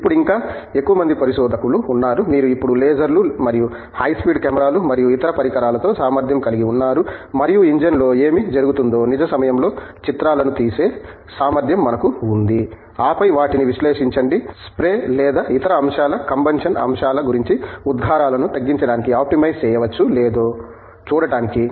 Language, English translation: Telugu, Now, further more there are also researchers who are now, who now have the capability with lasers and high speed cameras and other devices and we now have the capability to actually take real time pictures of what is going on in an engine, then analyzing them to see whether something about the spray or other aspects combustion aspects can be optimized to mere to reduce a emission